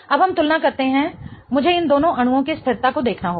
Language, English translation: Hindi, I have to look at the stability of these two molecules